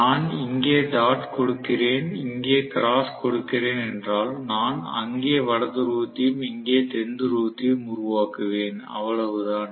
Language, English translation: Tamil, Then what will happen is if I pass dot here and cross here, maybe I will create North Pole there and South Pole here, that is it